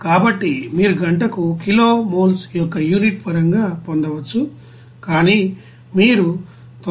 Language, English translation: Telugu, So you can get in terms of unit of kilo moles per hour, but since you have to produce 99